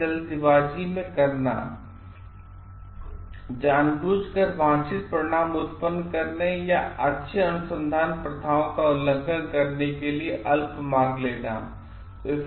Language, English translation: Hindi, Cutting corners, intentionally taking shortcuts to produce or show desired results or knowing violating good research practices